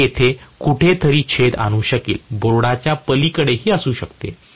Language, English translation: Marathi, It might intercept somewhere here, may be beyond the board